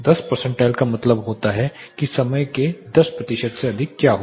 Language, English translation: Hindi, 10 percentile means what is exceeding for 10 percent of the time